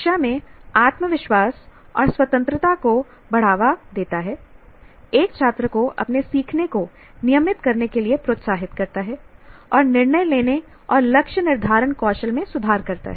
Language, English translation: Hindi, Fastest confidence and independence in the classroom encourages students to self regulate their learning, improves decision making and goal setting skills